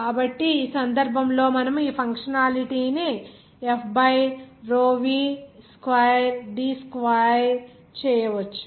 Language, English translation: Telugu, So, in this case, we can make this functionality like F by row v squire D squire